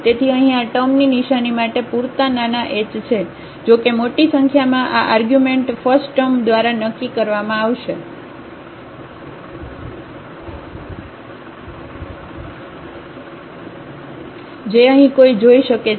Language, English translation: Gujarati, So, for sufficiently small h the sign of this term here; however, large these numbers are the sign will be determined by the first term which is which one can see here